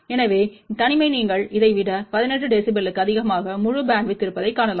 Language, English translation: Tamil, So, isolation was you can see that greater than 18 dB over this entire bandwidth